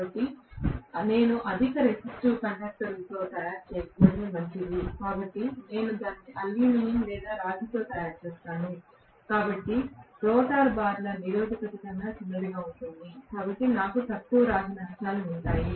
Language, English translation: Telugu, So, I better not make it with high resistive conductors, so I will make it with aluminium or copper because of which, the resistance of the rotor bars are going to be small so I will have less rotor copper losses